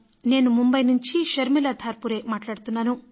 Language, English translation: Telugu, I am Sharmila Dharpure speaking from Mumbai